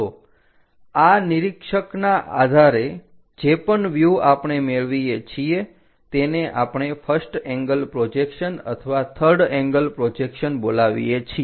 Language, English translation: Gujarati, the views whatever we obtain we call that as either first angle projection or the third angle projection